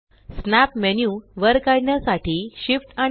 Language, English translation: Marathi, Shift S to pull up the snap menu